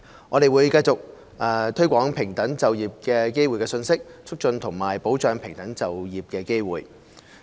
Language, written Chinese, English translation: Cantonese, 我們會繼續推廣平等就業機會的信息，促進和保障平等就業機會。, We will continue to publicize the message of equal employment promote and safeguard equal employment opportunities